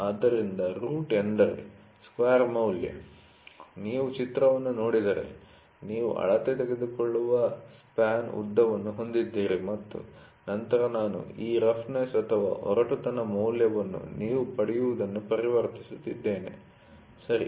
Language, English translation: Kannada, So, root mean square value, if you see the figure you have a length of span for which you take the measurement and then I am just converting this roughness value whatever you get, ok